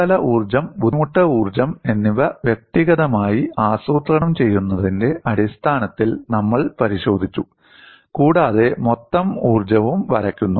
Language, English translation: Malayalam, We have looked at in terms of individually plotting surface energy, strain energy, and the total energy is also drawn